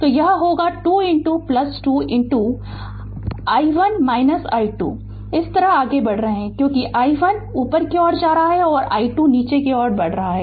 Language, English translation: Hindi, So, it will be 2 into plus 2 into i 1 minus i 2 you are moving like this because i 1 is going upward and i 2 moving downwards